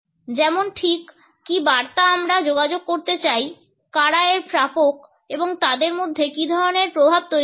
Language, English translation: Bengali, What exactly is the message which we want to communicate, who are the recipients of it and what type of effect would be generated in them